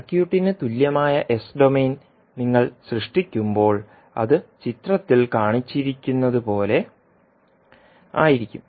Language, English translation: Malayalam, So when you create the s minus domain equivalent of the circuit, it will look like as shown in the figure